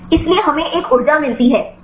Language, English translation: Hindi, So, we get one energy